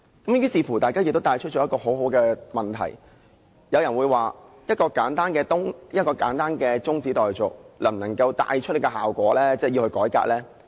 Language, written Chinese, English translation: Cantonese, 於是，大家亦提出很好的問題，譬如有人問，一項簡單的中止待續議案，能否帶出這個效果，能夠真正帶來改革呢？, Therefore Members asked some very good questions . For instance some Members questioned whether a simple adjournment motion could attain the effect of bringing forth genuine reform